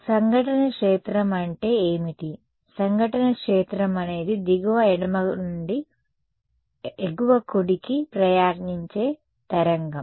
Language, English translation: Telugu, So, what is the incident field, incident field is a wave travelling from bottom left to top right